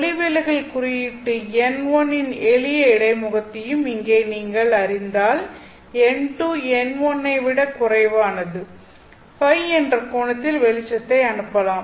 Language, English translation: Tamil, Well, if you take a simple interface of refractive index n1 here and n2 which is less than n1, and let's say you send in light at an angle of phi